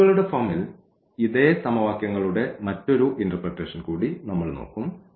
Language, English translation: Malayalam, So, let us look for the vector interpretation for this case as well